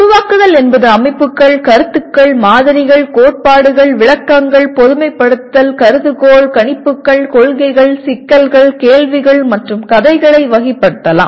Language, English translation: Tamil, Generation is it can be classifying systems, concepts, models, theories, explanations, generalization, hypothesis, predictions, principles, problems, questions, and stories